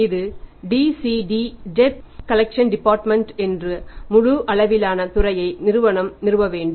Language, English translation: Tamil, This goes to the DCD debt collection department full fledged department company has to establish